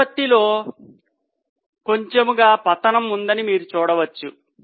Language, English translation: Telugu, You can see that there is a slow fall in the ratio